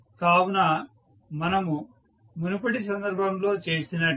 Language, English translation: Telugu, So, as we did in the previous case